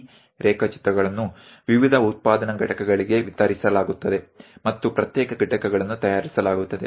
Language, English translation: Kannada, It will be distributed; these drawings will be distributed to variety of manufacturing units and individual components will be made